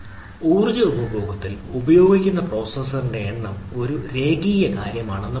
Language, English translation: Malayalam, it is not like that that the number of processor used in the power consumption is a linear thing